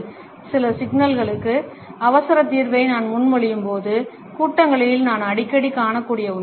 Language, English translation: Tamil, ” Something I can often see in meetings, when I propose an urgent solution for certain problem